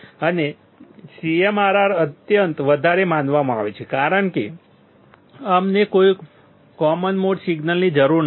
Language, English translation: Gujarati, And CMRR is supposed to be extremely high because we do not require any common mode signal